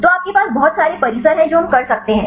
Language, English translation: Hindi, So, you have plenty of complexes we can do that